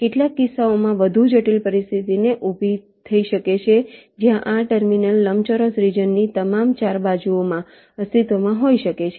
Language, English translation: Gujarati, well, a more complex situation can arise in some cases, where this terminals can exist in all four sides of a rectangular region